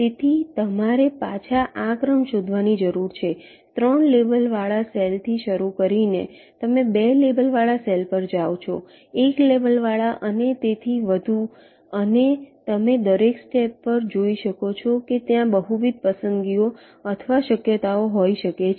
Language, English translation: Gujarati, so this is the sequence you need to be back traced: starting from a cell labeled with three, you go to a cell labeled with two, labeled with one and so on, and, as you can see, at each step there can be multiple choices or possibility